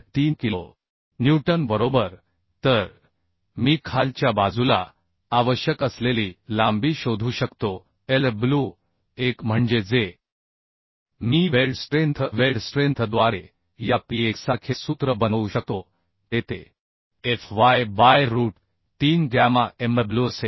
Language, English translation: Marathi, 3 kilonewton right So I can find out the length required at the lower side Lw1 that is that I can make the formula as like this P1 by weld strength weld strength will be tefu by root 3 gamma mw so I can put the value 130